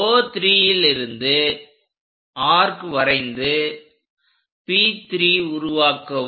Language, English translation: Tamil, From 3 make an arc which will be at P3